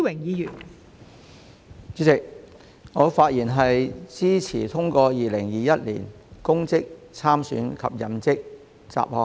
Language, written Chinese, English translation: Cantonese, 代理主席，我發言支持通過《2021年公職條例草案》。, Deputy President I speak in support of the passage of the Public Offices Bill 2021 the Bill